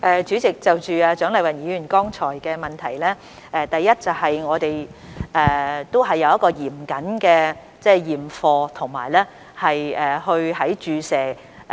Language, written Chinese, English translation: Cantonese, 主席，就蔣麗芸議員剛才的補充質詢，第一，我們是有嚴謹的驗貨工序的。, President regarding the supplementary question raised by Dr CHIANG Lai - wan just now I wish to say that first we have put in place a stringent inspection process